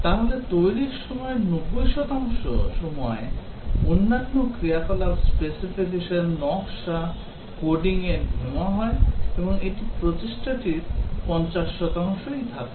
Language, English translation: Bengali, So, 90 percent of the development time is taken up in other activities specification, design, coding and that accounts for only 50 percent of the efforts